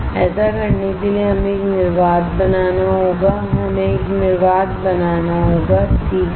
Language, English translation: Hindi, To do that we have to create a vacuum we have to create a vacuum alright